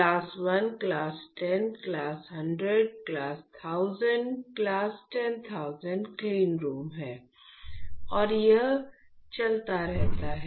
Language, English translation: Hindi, So, there is class 1, class 10, class 100, class 1000, class 10000 cleanroom and it goes on